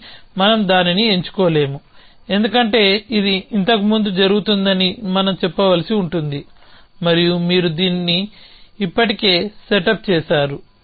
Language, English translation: Telugu, But we cannot choose that, because then we would have to say that that happens before this and you already setup this happen before that